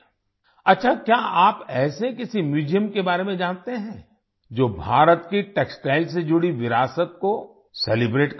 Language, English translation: Hindi, Ok,do you know of any museum that celebrates India's textile heritage